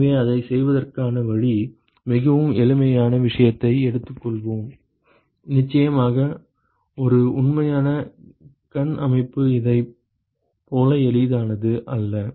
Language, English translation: Tamil, So, the way it is done is let us take a very simple case, of course, a real eye system is not as simple as this